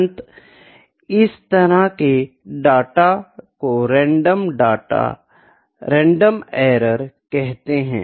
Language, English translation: Hindi, So, this is the kind of a random error